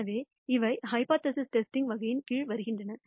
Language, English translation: Tamil, So, these are come under the category of hypothesis testing